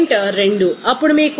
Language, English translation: Telugu, 2 then it is coming 7